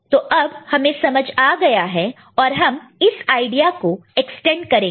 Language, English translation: Hindi, Now you can understand, you can extend the idea